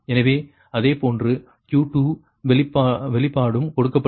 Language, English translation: Tamil, and similarly, q two expression was also given